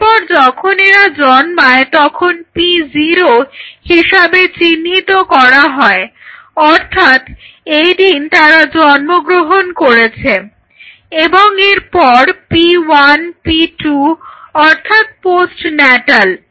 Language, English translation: Bengali, So, as soon as they are born this is p 0 this is the day will be born and p 1 p 2 postnatal